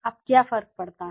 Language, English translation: Hindi, Now what is the difference